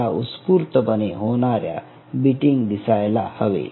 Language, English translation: Marathi, you should be able to see the spontaneous beatings right